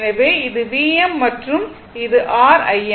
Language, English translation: Tamil, So, this is V m and this is your I m